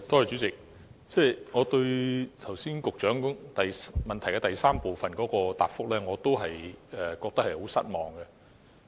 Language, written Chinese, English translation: Cantonese, 主席，對於局長剛才主體答覆的第三部分，我仍然感到很失望。, President concerning part 3 of the main reply given by the Secretary just now I am still feeling very disappointed